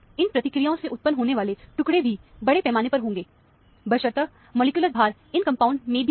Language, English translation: Hindi, Fragments arising from these processes will be even mass, provided the molecular weight is also even in this compounds